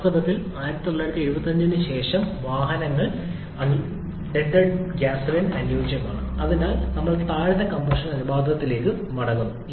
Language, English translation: Malayalam, In fact, whatever automobile vehicles that were fabricated after 1975, they are all suitable for unleaded gasoline and so we are back to lower compression ratios